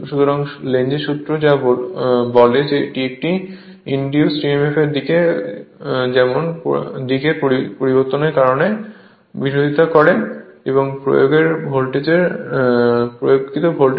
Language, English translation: Bengali, This can be deduced by Lenz’s law which states that the direction of an induced emf such as to oppose the change causing it which is of course, the applied voltage right